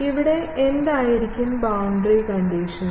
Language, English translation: Malayalam, Here, what will be the boundary condition